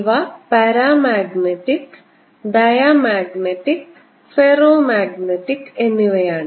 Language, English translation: Malayalam, these are paramagnetic, diamagnetic and ferromagnetic